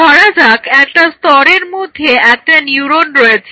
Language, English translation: Bengali, So, for example, in one layer one neuron